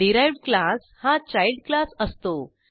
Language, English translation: Marathi, The derived class is the child class